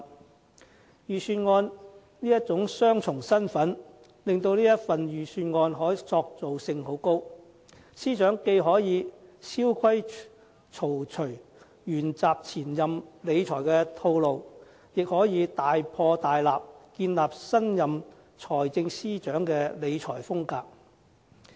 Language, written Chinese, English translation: Cantonese, 這份預算案的雙重身份，使它的可塑性甚高，司長既可以蕭規曹隨，沿襲前任司長的理財套路，亦可以大破大立，建立新任財政司司長的理財風格。, This Budget thus has a dual identity and gives Financial Secretary Paul CHAN a lot of leeway in preparation . He can either follow the financial management philosophy of his predecessor or make drastic changes and establish his financial management style as the new Financial Secretary